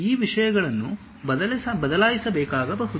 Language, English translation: Kannada, These things may have to be changed